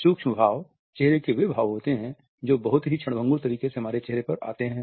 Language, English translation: Hindi, Micro expressions are those facial expressions that come on our face in a very fleeting manner